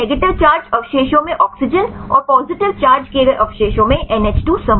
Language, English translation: Hindi, So, the oxygen in the negative charged residues, and the NH2 group in the positive charged residues right